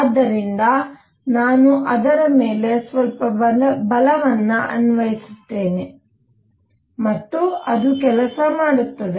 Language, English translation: Kannada, So, I will be applying some force on it and therefore, it does work